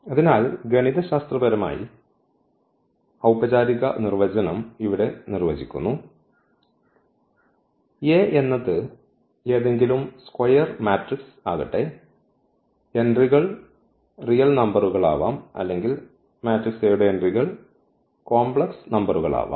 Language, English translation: Malayalam, So, the definition the mathematical formal definition here: let A be any square matrix, the entries can be real or the entries of the matrix A can be complex